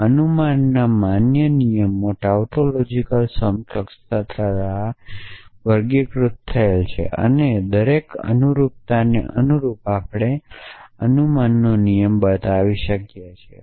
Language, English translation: Gujarati, Valid rules of inference are characterized by the tautological implication or tautological equivalence and corresponding to each tautological implication we can construct a rule of inference